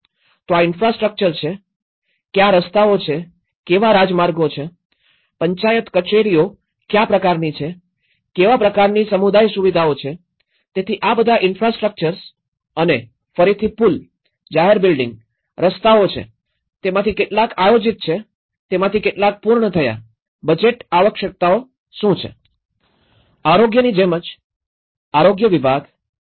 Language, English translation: Gujarati, So, this is the infrastructure, what are the roads, what kind of highways, what kind of Panchayat offices, what kind of community facilities, so this is all the infrastructures and again the bridges, public buildings, roads, how many of them are planned, how many of them are completed, what are the budgetary requirements